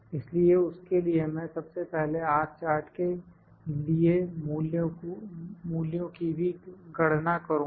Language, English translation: Hindi, So, for that I can first calculate the values for the R chart as well